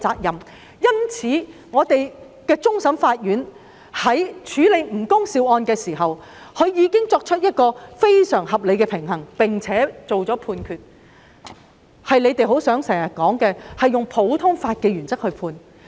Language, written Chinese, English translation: Cantonese, 因此，香港終審法院在處理吳恭劭案時，已作出非常合理的平衡，並按照他們經常說的普通法原則作出判決。, Therefore when NG Kung - sius case was tried by CFA it has struck a very reasonable balance and a judgment was handed down in accordance with the common law principle which they have highlighted from time to time